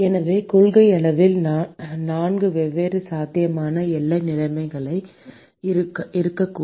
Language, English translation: Tamil, So, in principle there are four different possible boundary conditions that could have